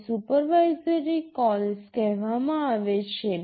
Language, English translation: Gujarati, These are called supervisory calls